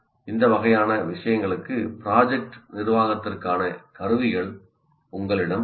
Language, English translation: Tamil, For this kind of thing, you have tools available for project management